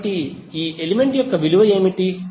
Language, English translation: Telugu, So what would be the value of this element